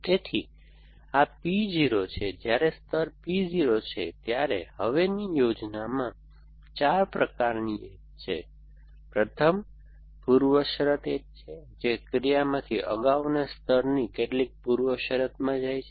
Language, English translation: Gujarati, So, this is P 0 while layer P 0, now there are 4 kinds of edges in the planning of the, first is preconditions edges which go from an action to some precondition in the previous layer